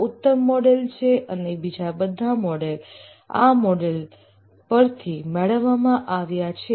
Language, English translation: Gujarati, This is the classical model and all other models are derivatives of this model